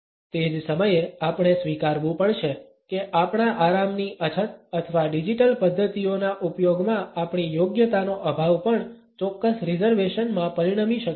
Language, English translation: Gujarati, At the same time we have to admit that our lack of comfort or our lack of competence in the use of digital methods may also result in certain reservations